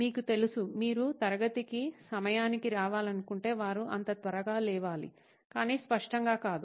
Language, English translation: Telugu, You know If you want to come on time in class, they should wake up early as simple as that but apparently not